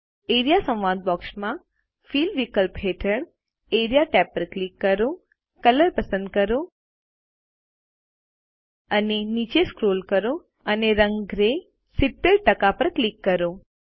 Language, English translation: Gujarati, In the Area dialog box Click the Area tab under the Fill option, select Color and scroll down and click on the colour Gray 70%